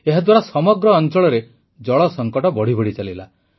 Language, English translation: Odia, This led to worsening of the water crisis in the entire area